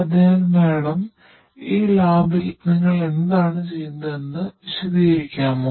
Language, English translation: Malayalam, So, ma’am could be please explain what you do over here in this lab